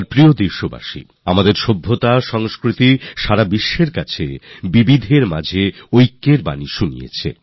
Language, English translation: Bengali, My dear countrymen, our civilization, culture and languages preach the message of unity in diversity to the entire world